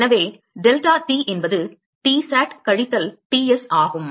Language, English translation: Tamil, So, deltaT the driving force is Tsat minus Ts